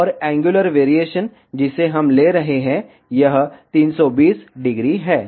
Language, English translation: Hindi, And the angular variation, which we are taking for this is 320 degree